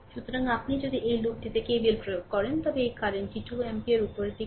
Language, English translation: Bengali, So, here your if you apply your K V L in this loop, this current is 2 ampere upwards